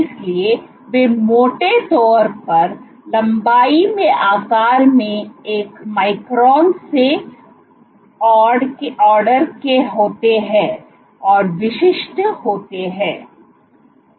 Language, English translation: Hindi, So, they are roughly order one micron in size in length and the typical